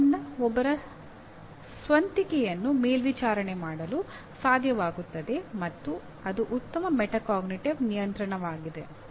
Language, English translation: Kannada, So one is able to monitor one’s own self and that is a good metacognitive regulation